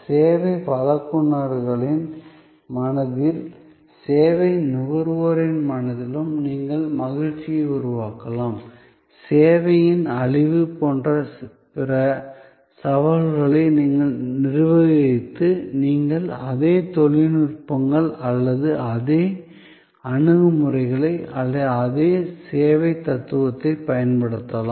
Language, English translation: Tamil, You can create happiness in the minds of service providers as well in the minds of services consumers, you can also use those same techniques or same approaches or same service philosophy for managing the other challenges like perishability of the service